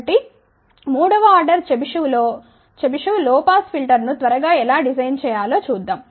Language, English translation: Telugu, So, let just look at a quick design of a third order Chebyshev low pass filter